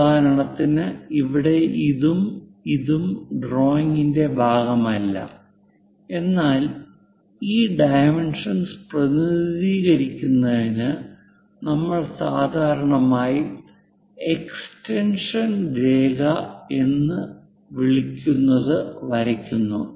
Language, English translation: Malayalam, For example, here this one and this one these are not part of the drawing, but to represent these dimension line we usually draw what is called extension line